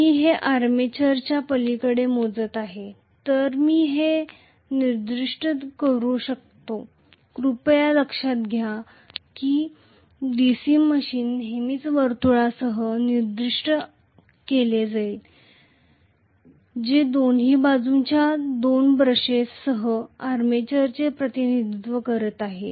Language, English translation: Marathi, So, I can specify this as though if my I am measuring it across the armature please note that the DC machine will always be specified with the circle which is representing the armature with two brushes on the either side